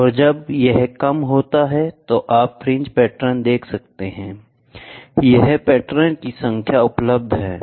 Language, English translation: Hindi, And when this is less so, you can see the fringe pattern, number of patterns are more number of patterns are less